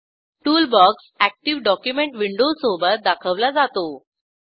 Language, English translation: Marathi, Toolbox is displayed along with the active document window